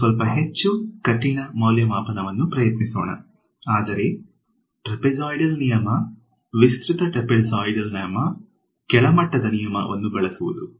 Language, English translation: Kannada, Let us try a little bit more expensive evaluation, but using a inferior rule which is the trapezoidal rule, the extended trapezoidal rule